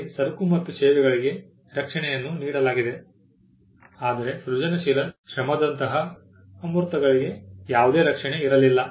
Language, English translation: Kannada, We had protection for goods and services, but there was no protection for the intangibles like creative labour